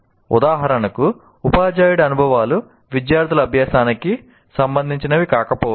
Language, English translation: Telugu, For example, teachers' experiences may not be relevant to students because he is a different human being